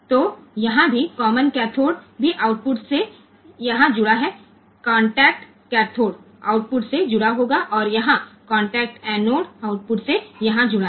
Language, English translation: Hindi, So, here also the sorry here also the common a common cathode is connected to the output here, the contact cathode will be connected to the output and here, the contact anode will be connected to that called in this case contact anodes will be connected to the output